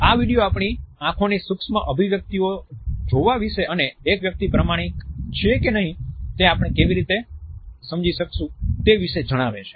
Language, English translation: Gujarati, This video also tells us about looking at the micro expressions of eyes and how we can understand whether a person is being honest or not